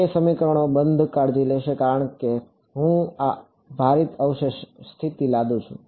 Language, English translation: Gujarati, That the equations will take care off; because when I impose this weighted residual condition